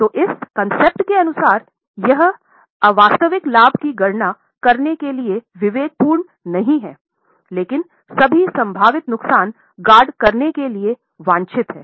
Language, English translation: Hindi, So, as for this concept, it is not prudent to count unrealized gain but it is desired to guard for all possible losses